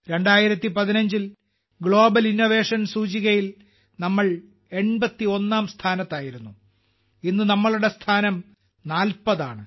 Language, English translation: Malayalam, In 2015 we were ranked 81st in the Global Innovation Index today our rank is 40th